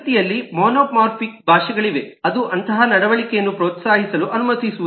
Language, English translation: Kannada, there are eh languages which are monomorphic in nature, which eh does not allow such behavior to be eh encouraged